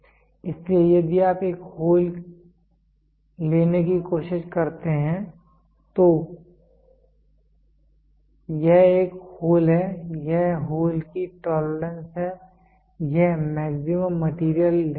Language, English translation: Hindi, So, if you try to take a hole this is a hole this is the tolerance of on hole this is the maximum material limit